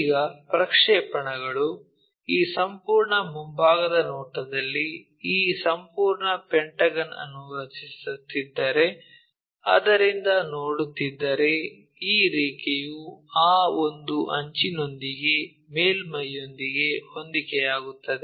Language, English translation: Kannada, Now, the projection if we are drawing this entire pentagon in this view front view if we are looking from that this line coincides with that one edge as a surface